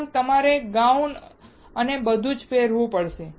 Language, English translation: Gujarati, Also, you have to wear the gown and everything